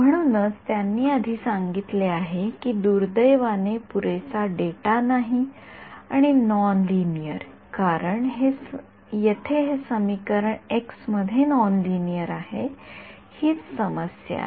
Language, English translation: Marathi, So, they have already said that ill posed not enough data and non linear right, this equation over here is non linear in x that is the problem